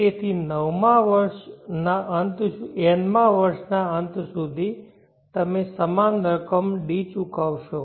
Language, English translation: Gujarati, So till the end of the nth year you are paying the same amount D